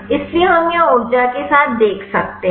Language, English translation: Hindi, So, we can see here with the energy